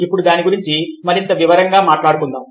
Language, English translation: Telugu, now lets talk about it in a more detail way